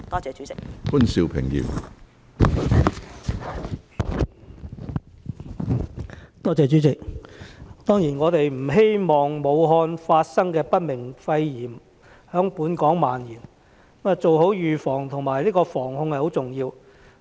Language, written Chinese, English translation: Cantonese, 主席，我們當然不希望武漢發生的不明原因肺炎在本港蔓延，故做好預防及有效防控是十分重要的。, President we certainly do not wish to see the spread of the pneumonia with unknown cause in Wuhan in Hong Kong . It is therefore very important to take precautions properly and adopt effective preventive and control measures